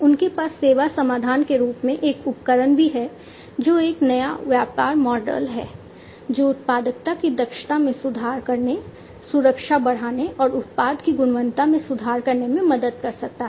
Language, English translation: Hindi, So, they also have a tools as a service solution, which is a new business model, which can help in improving the efficiency of productivity, enhancing the safety, and improving product quality